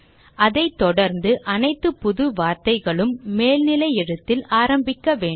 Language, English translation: Tamil, And all new words followed should begin with an upper case